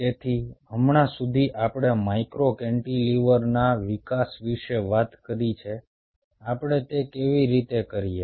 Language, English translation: Gujarati, ok, so as of now, we have talked about the development of micro cantilever, how we do it